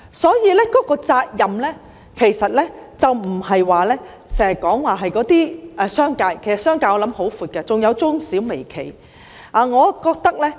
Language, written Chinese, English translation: Cantonese, 所以，責任其實不單是在商界，我想商界的範圍也十分廣闊，還包括中小微企。, Therefore the responsibility actually does not lie only in the business sector . I think the scope of the business sector is also very large and it also covers medium small and micro enterprises